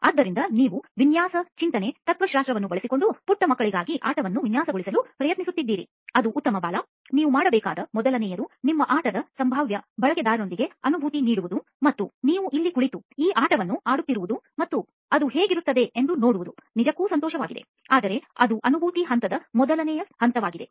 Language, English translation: Kannada, so you are trying to design a game for little kids using a design thinking philosophy, that is good Bala, the first thing you should do is Empathize with the potential users of your game and is really nice that you are sitting here and playing this game and seeing what it would be like, but that’s just the first stage of the empathising phase